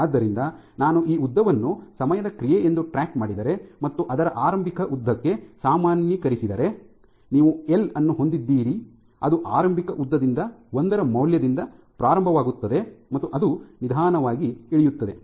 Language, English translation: Kannada, So, if I track this length as a function of time, and then normalized to its initial length, you have the L which starts from a value of one which is from the initial length and it slowly drops